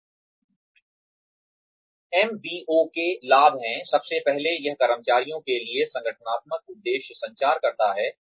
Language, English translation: Hindi, Benefits of MBO are, first, it communicates organizational aims to employees